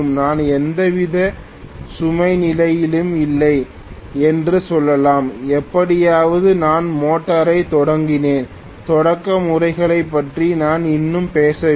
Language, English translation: Tamil, Let us say I have basically under the no load condition under no load condition somehow I have started the motor, I have still not talked about starting methods